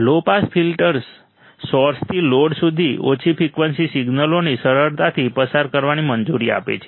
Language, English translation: Gujarati, Low pass filter allows for easy passage of low frequency signals from source to load